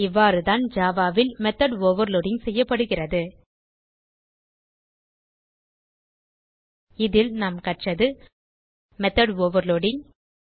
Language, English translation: Tamil, This is how method overloading is done in java So in this tutorial we learnt, About method overloading